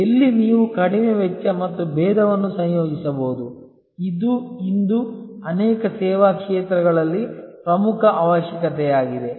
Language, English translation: Kannada, Where, you can combine low cost and differentiation, this is a key requirement today in many service areas